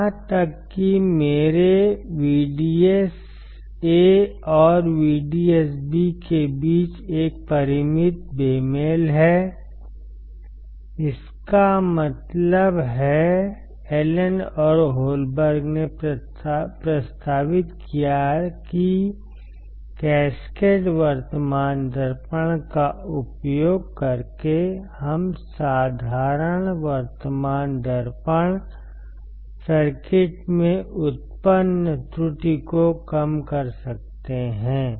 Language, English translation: Hindi, Even there is a finite mismatch between my VDSA and VDSB; that means, Allen or Holberg proposed that by using the cascaded kind of current mirror, we can reduce the error generated in the simplest current mirror circuits